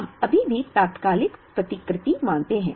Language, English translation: Hindi, We still assume instantaneous replenishment